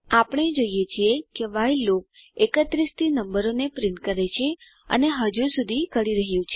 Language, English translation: Gujarati, We see that while loop prints numbers from 31 and is still printing